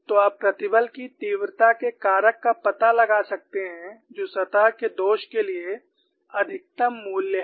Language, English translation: Hindi, So, you can find out the stress intensity factor that is the maximum value for the surface flaw